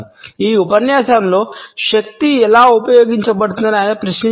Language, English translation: Telugu, In this lecture he had questioned how power is exercised